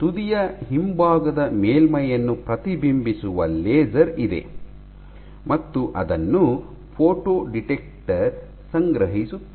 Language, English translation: Kannada, So, you have a laser which reflects of the back surface of your tip and is collected by a photo detector